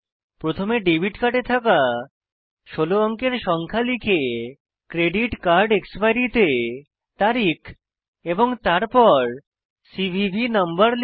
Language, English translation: Bengali, You have to Enter the 16 digit number that comes on your debit card and then credit card expiry date and then CVV number